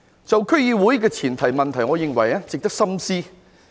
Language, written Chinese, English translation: Cantonese, 至於區議會的前途問題，我認為值得深思。, Regarding the way forward for DCs I think it is worth pondering over